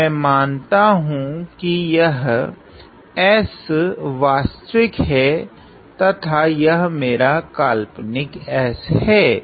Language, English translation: Hindi, So, let me say that this is my real s and this is my imaginary s